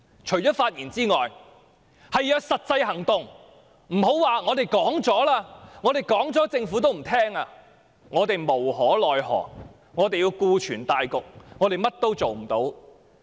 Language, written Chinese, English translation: Cantonese, 除了發言外，還要有實際行動，別說"政府不接受我們的意見、我們無可奈何、我們要顧全大局，或者我們甚麼也做不到"。, In addition to giving speeches we should take practical actions as well . Please do not say The Government does not accept our views we can do nothing we have to take into consideration the situation as a whole or we cannot do anything . The Government simply looks down upon us thinking that we would do so